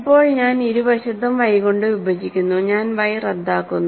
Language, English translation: Malayalam, Now, I divide by y both sides so I cancel y